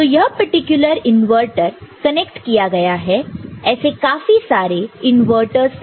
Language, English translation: Hindi, So, this particular inverter is connected to many such inverters ok